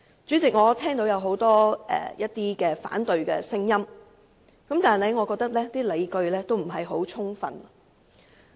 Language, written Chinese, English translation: Cantonese, 主席，我聽到很多反對聲音，但我認為所持理據均有欠充分。, President I have heard a lot of opposition views but I think they are not fully justified